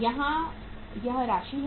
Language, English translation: Hindi, It is the amount here